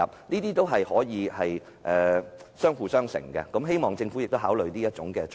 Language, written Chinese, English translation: Cantonese, 這項措施可以發揮相輔相成的作用，希望政府考慮。, As this measure can also complement other measures I hope the Government will give due consideration